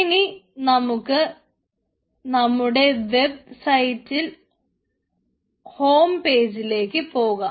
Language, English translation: Malayalam, so we need to go to the homepage of our website